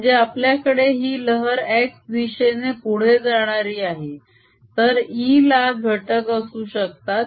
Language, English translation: Marathi, what it means is: i have this wave propagating in the x direction, then e can have components